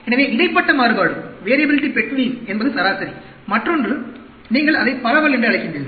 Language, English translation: Tamil, So, variability between is average; other one, you call it dispersion